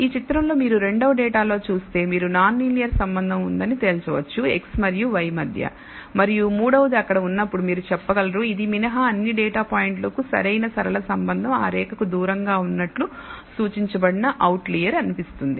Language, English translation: Telugu, In the second data if you look at this figure you can conclude that there is a non linear relationship between x and y and the third one you can say when there is a perfect linear relationship for all the data points except one which seems to be an outlier which is indicated be far away from that line